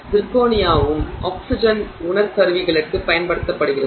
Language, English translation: Tamil, Okay, zirconia is also used for oxygen sensors